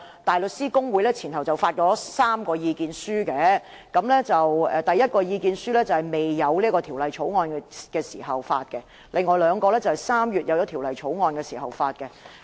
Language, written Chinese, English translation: Cantonese, 大律師公會前後發表了3份意見書，第一份意見書在制訂《條例草案》前發表，另外兩份則在3月《條例草案》制訂後發表。, The Bar Association had issued three statements in total the first one was issued before the enactment of the Bill and the other two were issued in March after the enactment of the Bill